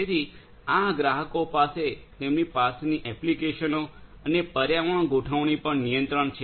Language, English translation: Gujarati, So, the clients over here have control over the applications and the configuration environment that they have